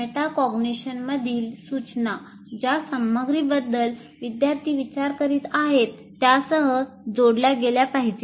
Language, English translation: Marathi, Now, instruction in metacognition should be embedded in the with the content and activities about which students are thinking